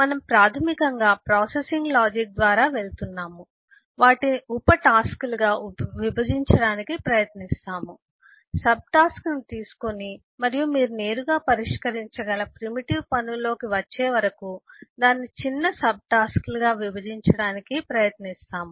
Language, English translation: Telugu, we are basically going by the processing logic, try to divide them into subtasks, take up the subtask and try to divide that further into smaller subtasks till you get into primitive tasks that can be directly solved